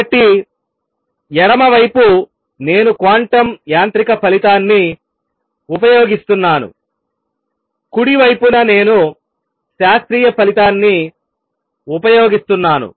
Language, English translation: Telugu, So, on the left hand side, I am using a quantum mechanical result, on the right hand side, I am using the classical result